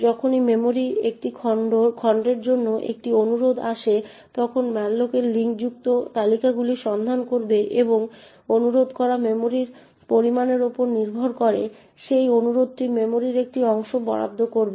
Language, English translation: Bengali, In whenever a request occurs for a chunked of memory, then malloc would look into these linked lists and allocate a chunk of memory to that request depending on the amount of memory that gets requested